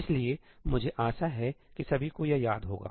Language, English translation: Hindi, So, I hope everybody remembers this